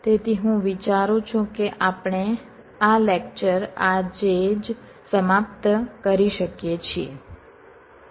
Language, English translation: Gujarati, so i thing we can just end today this lecture